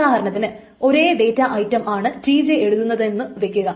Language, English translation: Malayalam, Suppose the same data item is written by T